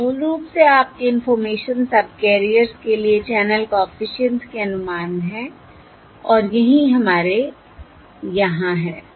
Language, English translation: Hindi, these are the estimates of the channel coefficients basically for the information subcarriers and that is what we have over here